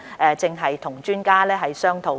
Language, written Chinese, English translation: Cantonese, 我們正與專家商討。, We are now holding discussions with experts